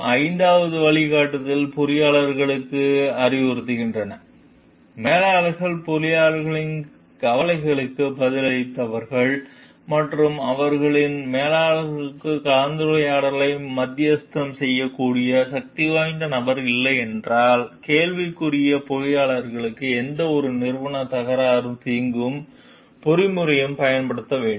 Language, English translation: Tamil, The fifth, the guidelines advise engineers that if managers are unresponsive to engineers concern and there is no powerful figure who is able to mediate discussion with their managers, the engineers in question should make use of any organization dispute resolution mechanism available